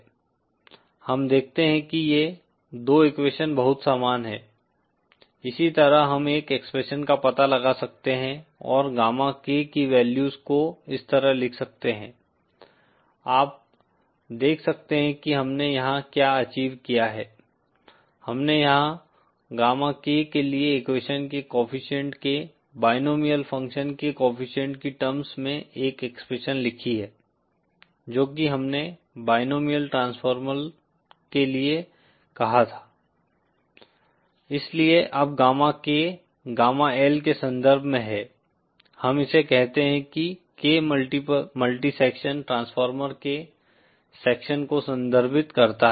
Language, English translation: Hindi, We see that these two equations are very similar, similar that we can find out an expression and write the values of gamma K like this, you see what we achieved here, we have written here an expression for gamma K in terms of the coefficient of the binomial function of the coefficient of the equation that we stated for the binomial transformer and so now gamma K is in terms of gamma L, we call that K refers to the sections of the multi section transformer